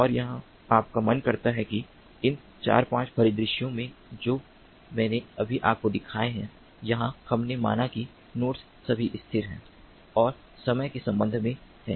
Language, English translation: Hindi, its not very simple and here, mind you that, in all these four, five scenarios that i have just shown you here, we have considered that the nodes are all static and with respect to time